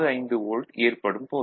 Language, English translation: Tamil, 65 volt, ok